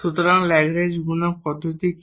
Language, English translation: Bengali, So, what is the method of Lagrange multiplier